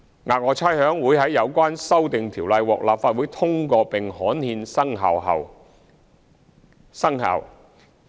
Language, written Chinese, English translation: Cantonese, 額外差餉會在有關修訂條例獲立法會通過並刊憲後生效。, The Special Rates will take effect after gazettal of the Amendment Ordinance following passage of the Amendment Bill in the Legislative Council